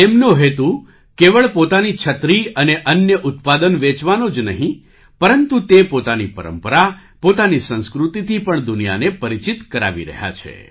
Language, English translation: Gujarati, Their aim is not only to sell their umbrellas and other products, but they are also introducing their tradition, their culture to the world